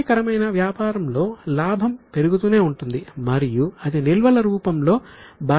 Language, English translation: Telugu, So, what happens is for a healthy business, profit goes on building up and that accumulates in the balance sheet in the form of reserve